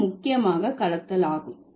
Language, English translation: Tamil, It is mainly blending, right